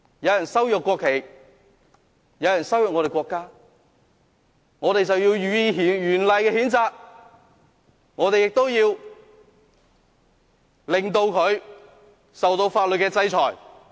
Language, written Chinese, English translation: Cantonese, 有人羞辱國旗，有人羞辱我們的國家，我們便要予以嚴厲的譴責，我們亦要令他受到法律制裁。, If someone insults the national flag if someone insults our country we must severely reprimand him and subject him to statutory sanctions